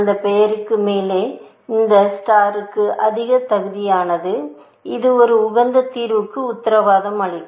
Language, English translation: Tamil, It is worthy of that star on top of that name, that it will guarantee an optimal solution